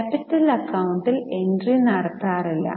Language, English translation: Malayalam, Capital account, there is no entry